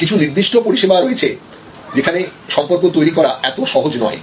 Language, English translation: Bengali, There are certain services where creating relationship is not that easy